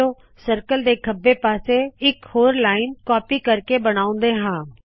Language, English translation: Punjabi, Let us draw another line, to the left of the circle by copying